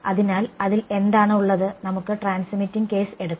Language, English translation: Malayalam, So, what is in let us take the transmitting case